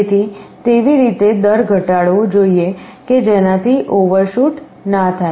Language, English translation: Gujarati, So, you should decrease the rate such that overshoot will not be there